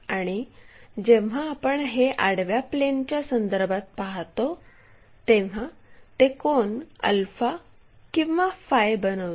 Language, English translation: Marathi, And, this one when we are looking at that with respect to the horizontal plane it makes an angle alpha or phi